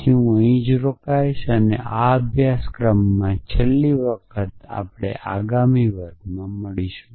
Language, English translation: Gujarati, So, I will stop here and will meet in the next class for the last time in this course